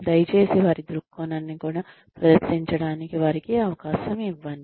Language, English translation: Telugu, Please give them a chance to present their point of view also